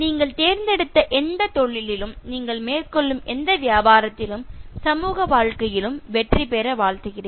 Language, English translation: Tamil, Wish you success in whatever profession that you have chosen, whatever business that you will settle, as well as success in social life